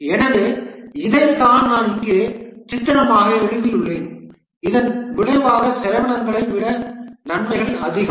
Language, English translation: Tamil, So this is what I have just pictorially written here that the benefits are more than the costs than the project is undertaken